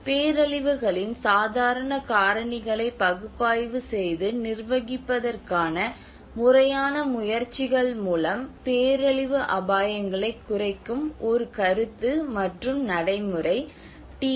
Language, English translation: Tamil, The DRR is a concept and practice of reducing disaster risks through a systematic efforts to analyse and manage the casual factors of disasters